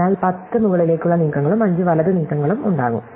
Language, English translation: Malayalam, So, there will be 10 up moves and 5 right moves